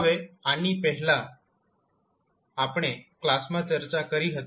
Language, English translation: Gujarati, Now, these we have discussed in the previous class